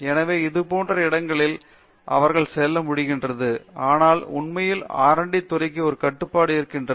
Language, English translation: Tamil, So, there are some areas like this where they are able to go, but it is really again a confine to the R&D sector